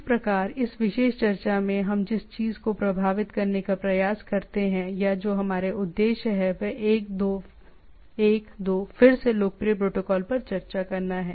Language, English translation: Hindi, So this, in this particular discussion what we try to impress upon or what our objective is to show discuss about one two again popular protocol